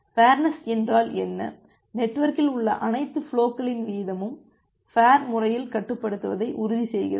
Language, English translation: Tamil, So, what is fairness, the fairness ensures that the rate of all the flows in the network is controlled in a fair way